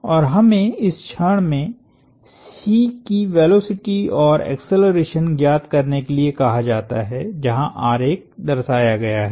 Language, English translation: Hindi, And we are asked to find the velocity and acceleration of C at this instant, where the picture is shown